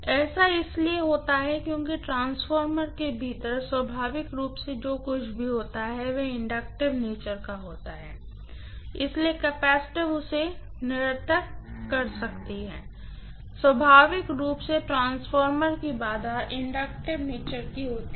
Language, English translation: Hindi, This happens because inherently what is there within the transformer is inductive in nature, so the capacitance kind of nullifies it, what is inherently the impedance of transformer happens to be inductive in nature